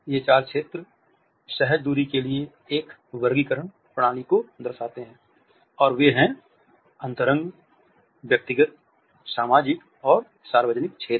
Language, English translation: Hindi, These four zones are a classificatory system for instinctive spacing distances and they are intimate, personal, social and public zones